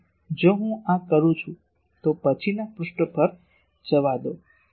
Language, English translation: Gujarati, So, if I do this then let me go to the next page